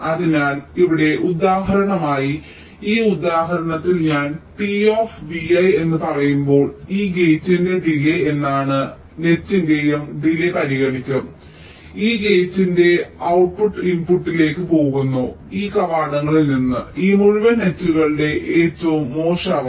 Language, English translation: Malayalam, so here, for example, in this example, when i say t of v i, it means the delay of this gate, and when i say t of e i, it will consider the delay of this whole net, the output of this gate going to the inputs of these gates